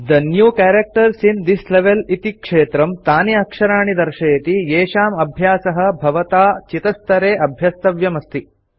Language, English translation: Sanskrit, The New Characters in This Level field displays the characters that you need to practice at the selected level